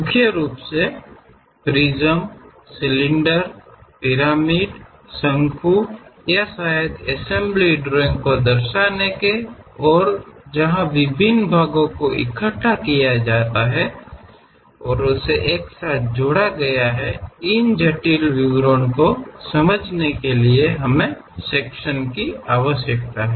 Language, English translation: Hindi, Mainly to represents prisms, cylinders, pyramids, cones or perhaps assembly drawings where different parts have been assembled, joined together; to understand these intricate details we require sections